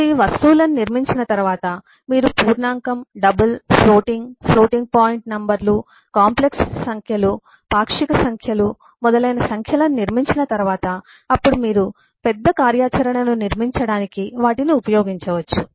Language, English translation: Telugu, once you have built up these eh objects, once you have built up these numbers of eh, say, integer, double, floating, floating point numbers, complex numbers, eh, fractional numbers and so on, then you can use them to build bigger functionality